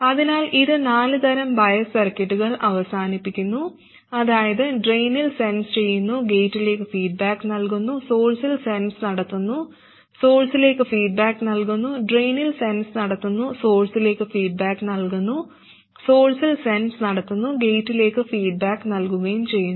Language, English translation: Malayalam, So, this concludes the four types of bias circuits, that is sensing at the drain, feeding back to the gate, sensing at the source, feeding back to the source, sensing at the drain feeding back to the source and sensing at the source and feeding back to the gate